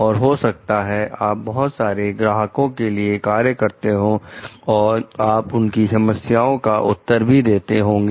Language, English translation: Hindi, And may, you are working for a number of clients and you are maybe answering to their different problems